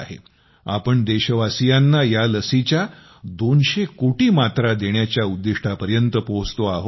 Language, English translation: Marathi, We have reached close to 200 crore vaccine doses